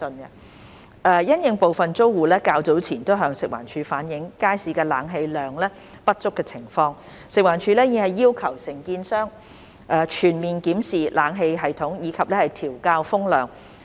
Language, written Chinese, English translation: Cantonese, 因應部分租戶較早前向食環署反映街市冷氣量不足的情況，食環署已要求承建商全面檢視冷氣系統，以及調校風量。, In response to the opinion some tenants reflected to FEHD earlier that concerned insufficient air - conditioning in the Market FEHD has requested the contractor to conduct a comprehensive inspection of the system and adjust the air volume